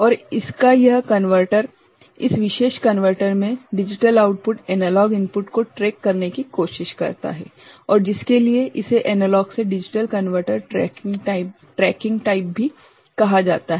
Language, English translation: Hindi, And this converter of this in this particular converter, the digital output, tries to track the analog input and for which it is also called analog to digital converter tracking type ok